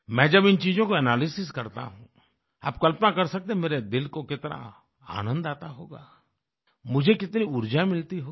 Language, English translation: Hindi, When I analyse this, you can visualise how heartening it must be for me, what a source of energy it is for me